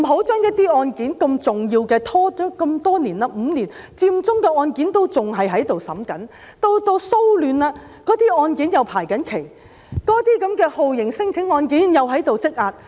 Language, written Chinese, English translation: Cantonese, 不要把如此重要的案件拖延5年這麼久，佔中的案件仍然在審理中，騷亂案件又正在排期，那些酷刑聲請者案件又在積壓。, The trial of such important cases should not be procrastinated for five years . The courts are still hearing the Occupy Central cases but while the social unrest cases are pending to be heard there is also a backlog of torture claims